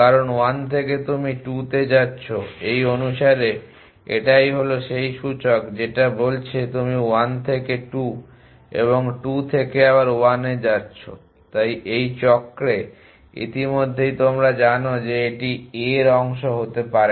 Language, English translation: Bengali, Because from 1 you going 2 according to this is the index from 1 you going 2 from 2 you a going to 1 so already done know in this cycle so it cannot to be part of a